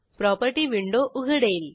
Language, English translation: Marathi, Property window opens